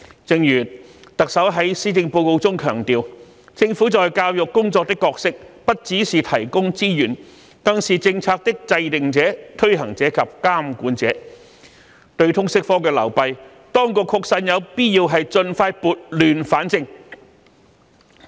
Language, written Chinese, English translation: Cantonese, 正如特首在施政報告中強調，"政府在教育工作的角色不只是提供資源，更是政策的制訂者、推行者及監管者"，對於通識科的流弊，當局確實有必要盡快撥亂反正。, As the Chief Executive stressed in the Policy Address the role of the Government in education is not merely a provider of resources but also a policy maker administrator and regulator . It is really vital for the authorities to set things right as soon as possible and rectify the shortcomings of the LS subject